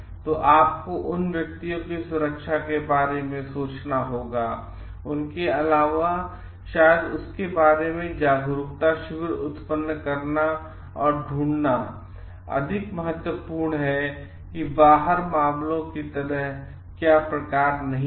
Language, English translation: Hindi, So, you have to think of the safety of those individuals also, and maybe it is more important to generate an awareness camp about it and to find out like in what cases what the do s and do not s type